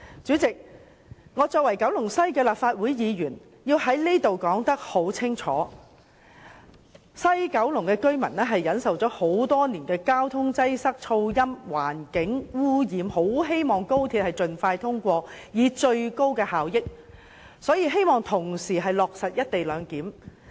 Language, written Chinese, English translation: Cantonese, 主席，作為九龍西的立法會議員，我要在此講清楚，西九龍居民忍受了多年交通擠塞、噪音、環境污染，他們很希望《條例草案》能盡快通過，令高鐵達致最高效益，落實"一地兩檢"。, President as a Legislative Council Member representing the Kowloon West geographical constituency I must make it very clear that the residents of Kowloon West have been plagued by traffic congestion noise and other environmental pollutions for years and they are anxious that the Bill would be passed expeditiously so that the efficiency of the Guangzhou - Shenzhen - Hong Kong Express Rail Link XRL can be optimized by the co - location arrangement